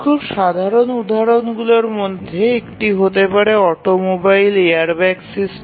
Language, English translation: Bengali, One of the very simple example may be an automobile airbag system